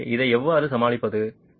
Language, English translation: Tamil, So, how do you tackle this